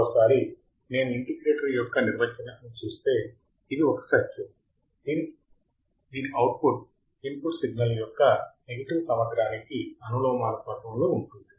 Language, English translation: Telugu, So, once again if I see the definition of an integrator, if I see the definition of an integrator, it is a circuit whose output is proportional to to the negative integral negative integral of the input signal with respect to time